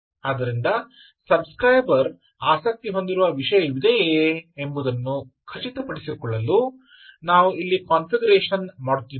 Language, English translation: Kannada, so we are doing a configuration here to ensure that there is a topic to which the subscriber is interested in